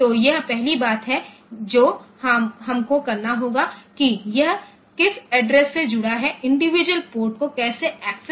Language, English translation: Hindi, So, this is the first thing that we have to do like to which address is it connected the how to how to access this individual ports